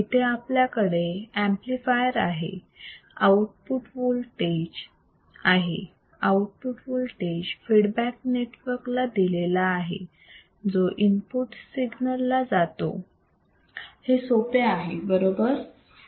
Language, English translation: Marathi, Then we have amplifier we output voltage this output voltage is feedback to the feedback network and that goes back to the input signal right easy, very easy right, super easy